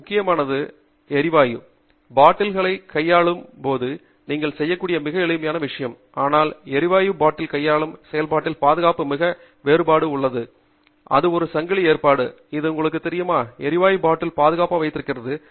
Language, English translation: Tamil, So, a very important, a very simple thing that you can do when you are handling gas bottles, but makes a great difference to the safety in the process of handling gas bottle, is to make sure that you have this kind of a chain arrangement, which then, you know, holds the gases bottle securely